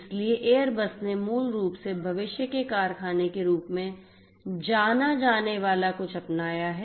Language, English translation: Hindi, So, I you know Airbus basically has adopted something known as the factory of the future